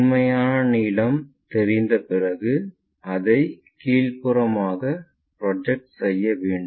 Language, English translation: Tamil, Once, this true length is known we project this all the way down